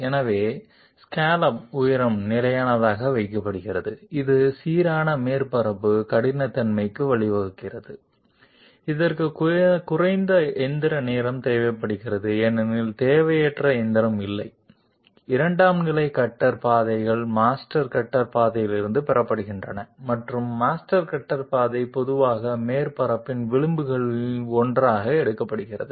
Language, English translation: Tamil, So scallop height is kept constant, which leads to uniform surface roughness, this requires less machining time because there is no redundant machining, secondary cutter paths are derived from master cutter path and the master cutter path is generally taken to be one of the edges of the surface